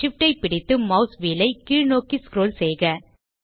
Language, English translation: Tamil, Hold SHIFT and scroll the mouse wheel downwards